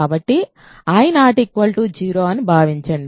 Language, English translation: Telugu, So, assume I is not equal to 0